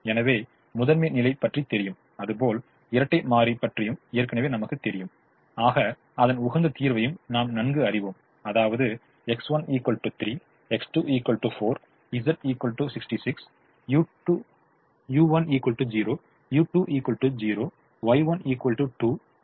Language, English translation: Tamil, so we know that primal, we know the dual already, we know the optimum solution: x one equal to three, x two equal to four, z equal to sixty six, u one equal to zero, u two equal to zero, y one equal to two, y two equal to one, etcetera